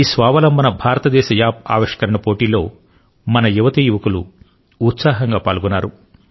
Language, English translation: Telugu, Our youth participated enthusiastically in this Aatma Nirbhar Bharat App innovation challenge